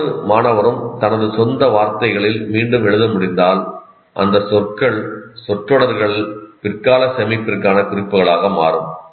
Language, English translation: Tamil, Each one is able to rewrite in their own words, those words or phrases will become cues for later storage